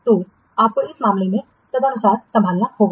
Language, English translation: Hindi, So you have to handle this case accordingly